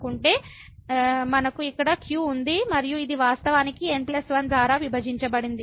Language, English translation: Telugu, So, we have a here and this is in fact, divided by plus 1